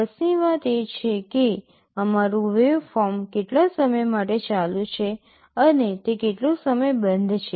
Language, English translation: Gujarati, The matter of interest is that for how long our waveform is ON and for how long it is OFF